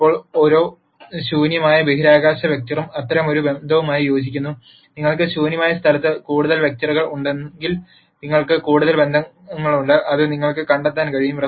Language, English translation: Malayalam, Now, every null space vector corresponds to one such relationship and if you have more vectors in the null space then you have more relationships that you can uncover